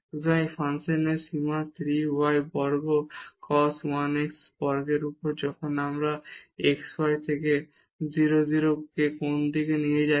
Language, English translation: Bengali, So, the limit of this function 3 y square cos 1 over x square when we take xy to 0 0 from any direction